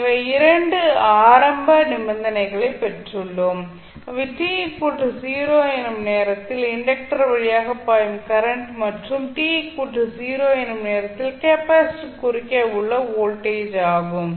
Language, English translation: Tamil, So, we got 2 initial conditions current which is flowing through the inductor at time t is equal to 0 and voltage across capacitor at time t is equal to 0